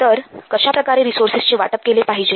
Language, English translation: Marathi, So how to allocate the resources